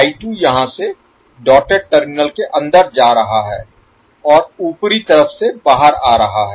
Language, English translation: Hindi, I 2 will go inside the dotted terminal from here and come out from the upper side